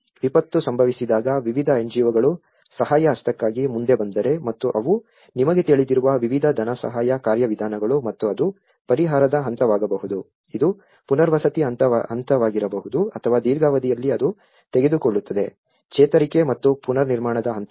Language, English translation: Kannada, When the disaster strikes different NGOs comes forward for a helping hand and they work on you know, different funding mechanisms and it could be a relief stage, it could be a rehabilitation stage or it could be in a long run it will take up to the recovery and reconstruction stages